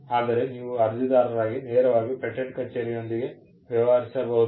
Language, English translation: Kannada, As an applicant, you can directly deal with the patent office